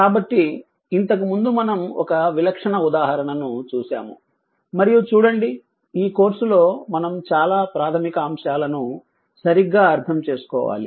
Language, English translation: Telugu, So previously we have just saw we have just seen an typical example and one look ah this is a this is a course that most of the things we have to understand the fundamentals right